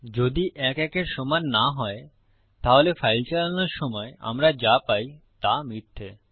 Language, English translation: Bengali, If 1 is not equal 1, what we should get when we run our file is False